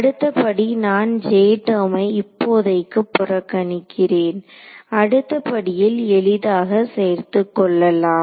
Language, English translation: Tamil, Next step so, I am ignoring the J term for now, it is easy to add it in next step would be to take